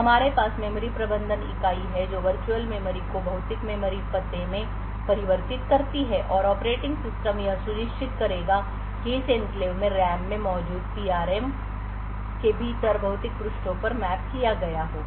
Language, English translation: Hindi, So, we have the memory management unit which converts the virtual memory to the physical memory address and the operating system would ensure that addresses form this enclave gets mapped to physical pages within the PRM present in the RAM